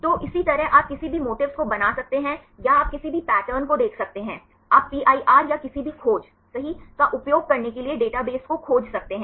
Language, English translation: Hindi, So, likewise you can make any motifs or you can see any patterns, you can also search the database right for using the PIR or any search right